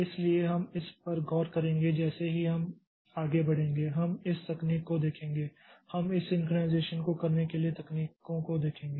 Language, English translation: Hindi, So, we'll look into this as we proceed, so we'll see the techniques for, we'll see the techniques for doing this synchronization